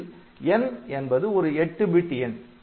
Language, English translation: Tamil, So, n is a 24 bit value